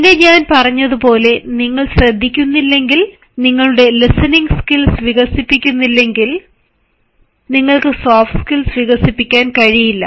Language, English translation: Malayalam, then comes if, unless and until, as i said, you do not listen, and if you do not develop your listening skills, you cannot develop soft skills